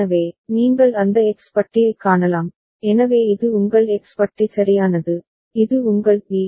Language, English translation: Tamil, So, you can see that X bar, so this is your X bar right and this is your Bn